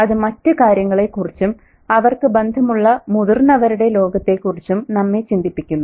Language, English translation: Malayalam, And it also makes us wonder about the adult world that they are in touch with